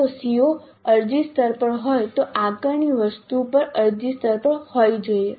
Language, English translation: Gujarati, If the CO is at apply level the assessment item also should be at apply level